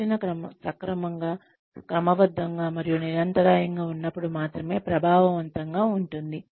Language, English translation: Telugu, Training can be effective, only when it is comprehensive, and systematic, and continuous